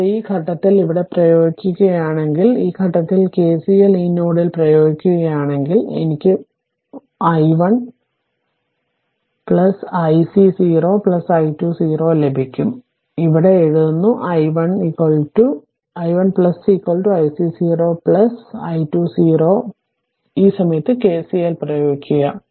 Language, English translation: Malayalam, Also, if you apply here at this point, if you apply at this point your at this point your KCL, you apply at this node right, then you will get your i 1 0 plus is equal to i c 0 plus plus i 2 0 plus right, so that means I am writing here i 1 0 plus is equal to your i c 0 plus right plus i 2 0 plus right, you apply KCL at this point